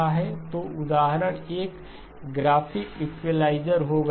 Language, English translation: Hindi, So example would be a graphic equalizer